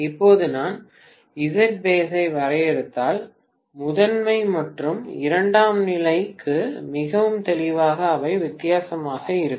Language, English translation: Tamil, Now if I define base impedance, very clearly for the primary and secondary they would be different